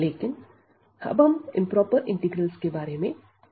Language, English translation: Hindi, But, now we will discuss today what are the improper integrals